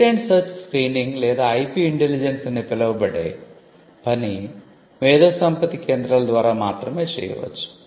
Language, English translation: Telugu, Patent search screening or what we can even call as IP intelligence is something which can only be done by an IP centre